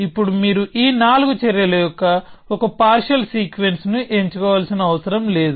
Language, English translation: Telugu, Now it is not necessary that you choose a particular sequence of these four actions